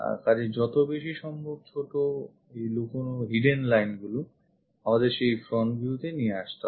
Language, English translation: Bengali, So, as many small hidden lines as possible we should bring it to that front view